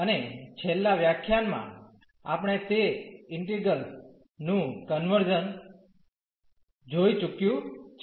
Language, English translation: Gujarati, And, in the last lecture we have already seen the convergence of those integrals